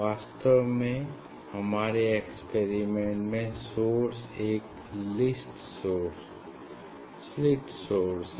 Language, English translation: Hindi, actually, for our experiment the source is the slit source